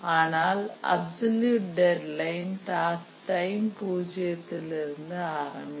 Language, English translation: Tamil, Whereas the absolute deadline is starting from time zero